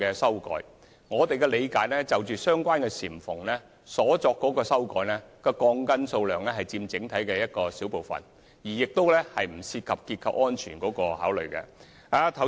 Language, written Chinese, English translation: Cantonese, 根據我們的理解，在相關簷篷修改鋼筋的數目只佔整體的小部分，亦不涉及樓宇結構安全。, As we understand it the change in the number of steel bars of the canopies in question represent only a small part and it does not affect the structural safety of the building